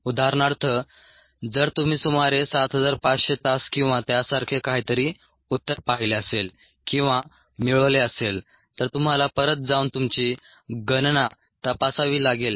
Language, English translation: Marathi, for example, if um you had ah seen or got an answer of about of seven thousand five hundred hours or something like that, then you need to go back and check your calculations